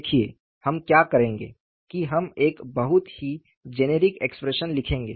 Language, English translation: Hindi, See, what we will do is we will write a very generic expression